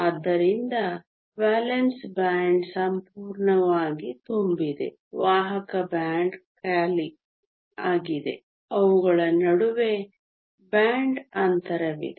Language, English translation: Kannada, So, the valence band is completely full the conduction band is empty and there is a band gap between them